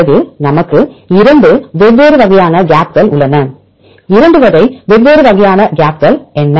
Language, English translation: Tamil, Then the gaps we have two different types of gaps what are two type different types of gaps